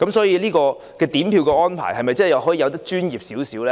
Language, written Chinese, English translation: Cantonese, 因此，點票安排能否做得更專業一些？, Can vote counting be done in a more professional way?